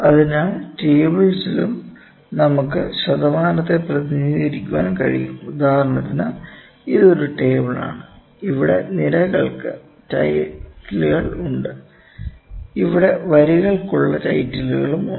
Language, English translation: Malayalam, So, in tables also we can represent the percentage is as well; for instance this is some table, we having a title for row, we having titles for the columns here, and the title for rows here, ok